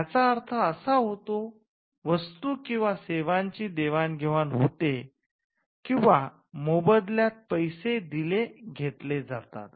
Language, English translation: Marathi, So, we understand it as an exchange, of goods and services for money or consideration